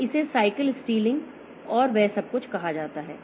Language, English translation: Hindi, So, this is called something called cycle stealing and all that